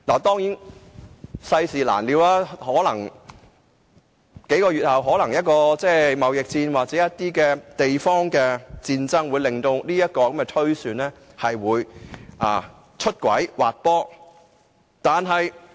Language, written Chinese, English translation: Cantonese, 當然，世事難料，或許數個月後發生貿易戰或地方戰爭，令我的預算出軌滑坡。, Of course life is full of uncertainties . Perhaps a trade war or regional war breaks out several months later and this may derail my projection